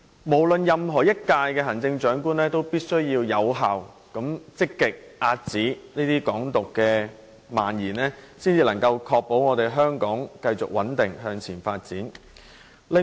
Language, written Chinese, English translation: Cantonese, 無論哪一屆行政長官，也必須有效、積極地遏止"港獨"蔓延，才能確保香港得以繼續穩定發展。, The Chief Executive of any term must take effective and proactive actions to curb the spread of Hong Kong independence . Only this can ensure the stable development of Hong Kong